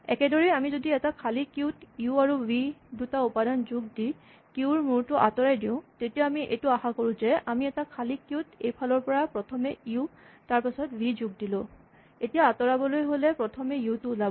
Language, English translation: Assamese, In the same way if we have an empty queue and we add to it two elements u and v and then we remove the head of the queue, then we expect that we started with an empty queue and then we put in from this end u and then we put in a v, then the element that comes out should be the first element namely u